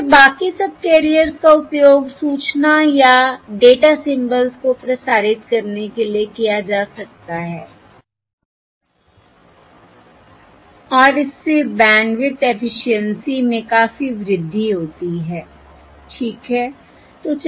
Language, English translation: Hindi, Therefore, the rest of the subcarriers can be used to transmit the information or the data symbols, and that significantly increases the bandwidth efficiency